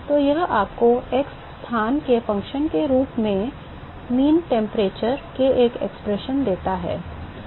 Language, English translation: Hindi, So, that gives you the expression for the mean temperature as a function of x location